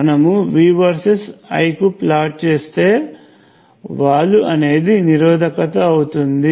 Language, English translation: Telugu, If you have plotted V versus I, the slope would be the resistance